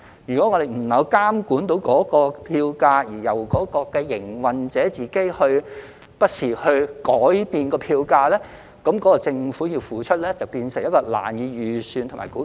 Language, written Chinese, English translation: Cantonese, 如果我們不能夠監管票價，並由營運者不時自行改變票價，那麼政府所要付出的便會變成難以預算和估計。, If we cannot monitor the fares and the operators can adjust them on their own initiative from time to time then the amount of money to be paid by the Government will be hard to predict and estimate